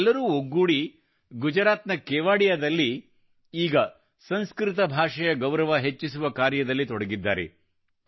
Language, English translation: Kannada, All of them together in Gujarat, in Kevadiya are currently engaged in enhancing respect for the Sanskrit language